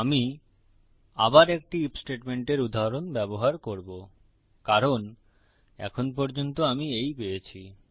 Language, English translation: Bengali, Ill use an example of an if statement again because thats all I have got at the moment